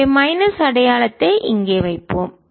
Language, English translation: Tamil, so let's put minus sin here